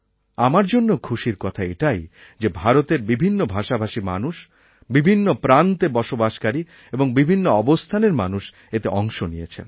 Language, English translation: Bengali, And this was a matter of joy for me that people speaking all the languages of India, residing in every corner of the country, hailing from all types of background… all of them participated in it